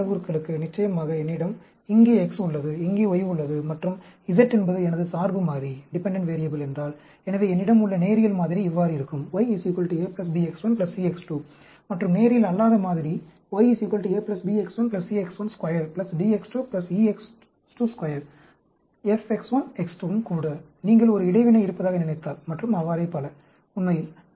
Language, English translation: Tamil, For a 2 parameter, of course, suppose, I have X here, y here, and z is my dependent variable; so, I will have, linear model will be, y is equal to A plus B x 1 plus C x 2; and non linear model will be y is equal to A plus B x 1 plus C x 1 square plus D x 2 plus E x 2 square plus, F x 1 x 2 also, if you think there is an interaction, and so on, actually